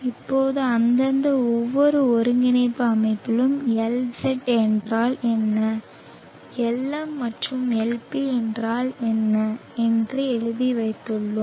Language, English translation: Tamil, Now in each of their respective coordinate systems we have written down what is Lz and what is Lm and Lp, so substituting we find L cos